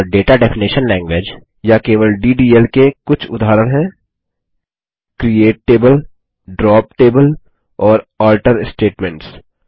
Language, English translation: Hindi, And some examples of Data Definition Language, or simply DDL, are: CREATE TABLE, DROP TABLE and ALTER statements